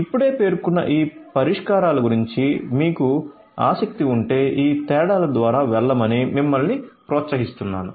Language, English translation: Telugu, So, if you are interested about any of these solutions that I just mentioned you are encouraged to go through these differences